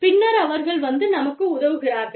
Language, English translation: Tamil, And then, they come and help us